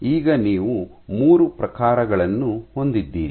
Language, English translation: Kannada, So now you have 3 species right